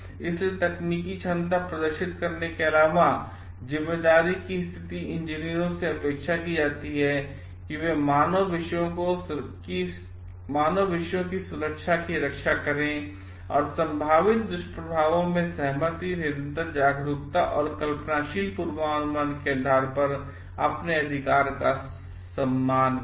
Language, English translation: Hindi, So, position of responsibility apart from displaying technical competence, engineers are expected to protect the safety of human subjects and respect their right of consent, constant awareness and imaginative forecasting of side possible side effects